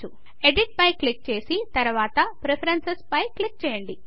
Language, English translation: Telugu, Click on Edit and then on Preferences